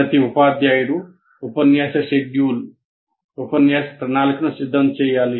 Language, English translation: Telugu, That is every teacher will have to prepare a lecture schedule or a lecture plan